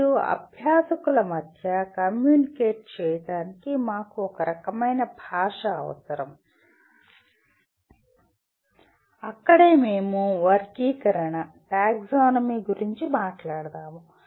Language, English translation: Telugu, And we require some kind of a language to communicate between the learners and that is where we talk about the taxonomy